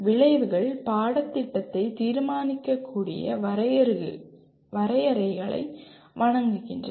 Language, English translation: Tamil, Outcomes provide benchmarks against which the curriculum can be judged